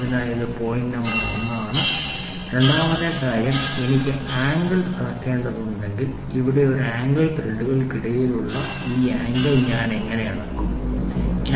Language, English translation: Malayalam, So, this is point number 1; second thing is if I have to measure the angle, say here is an angle, right how do I measure this angle measure angle between threads how do I do it what should be the method